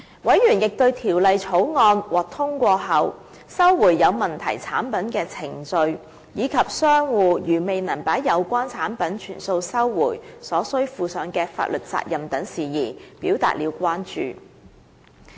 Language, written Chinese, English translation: Cantonese, 委員亦對在《條例草案》獲通過後，收回有問題產品的程序，以及商戶如未能把有關產品全數收回，因而要負上的法律責任等事宜表示關注。, Members also expressed concern about the procedure of recalling deficient products after the passage of the Bill and the liability that traders have to assume for failing to carry out a complete recall